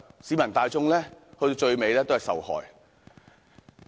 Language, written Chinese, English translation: Cantonese, 市民大眾最終也會受害。, Eventually the general public will suffer